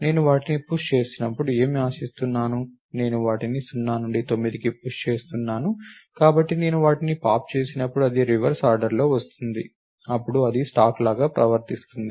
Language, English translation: Telugu, So, what do we expect when I am pushing them, I am pushing them 0 through 9, so when I pop them it will come out in the reverse order, then it behaves like a stack